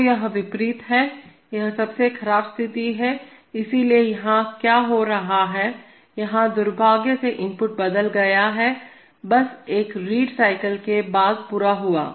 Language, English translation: Hindi, So, this is the opposite, this is the worst case, so what is happening here, here unfortunately the input has changed, just after a reading cycle was completed